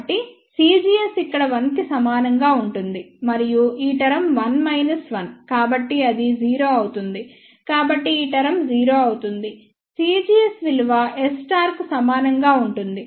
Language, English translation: Telugu, So, c gs will be equal to one over here and this term is 1 minus 1 so, that will become 0 so, this term becomes 0 so, c gs becomes equal to S 1 1 conjugate